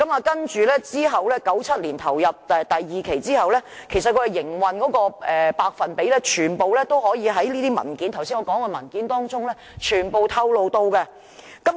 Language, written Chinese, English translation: Cantonese, 接着 ，1997 年投入第二期運作之後，營運的百分比全部都在我剛才提及的文件中透露了。, In 1997 when Phase II was commissioned the operating percentages could all be found in the paper that I mentioned earlier